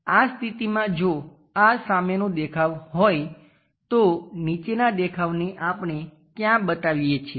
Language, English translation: Gujarati, In this case if this is the front view the bottom one what we are going to show